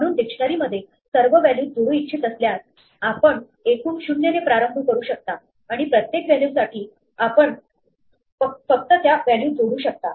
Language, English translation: Marathi, So, if you want to add up all the values for instance from a dictionary, you can start off by initializing total to 0, and for each value, you can just add it up yes right